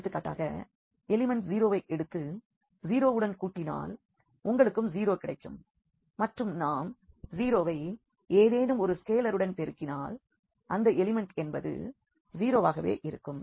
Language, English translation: Tamil, For example, you take the element the 0 and add to the 0 you will get 0 and we multiply by any scalar to the 0 the element will remain as a 0